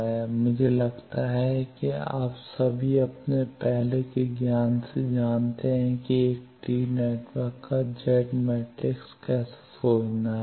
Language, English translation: Hindi, This I think all of you know from your earlier knowledge how to find Z matrix of a t network